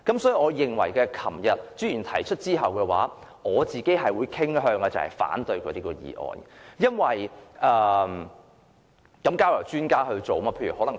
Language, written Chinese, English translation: Cantonese, 所以，昨天朱議員提出議案後，我傾向反對他的議案，因為這些事情應該交由專家處理。, Hence after Mr CHU had proposed this motion yesterday I tended to oppose it because these matters should be referred to the experts